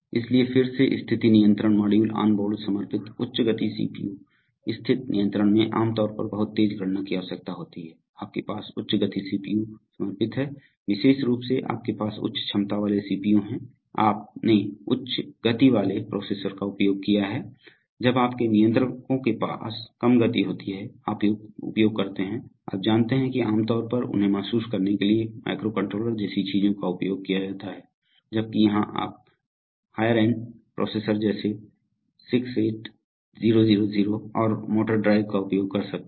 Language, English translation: Hindi, So, again position control module onboard dedicated high speed CPU, position control is generally requires very fast computation, so you have dedicated high speed CPU, by specifically means you have CPU with higher capabilities, you used higher order processors, when you have low speed controllers, you use, you know generally you use things like microcontrollers to realize them, while here you could use higher end processor like maybe 68,000 and motor drive so on